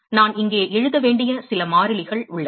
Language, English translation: Tamil, And there are some constants that I should write here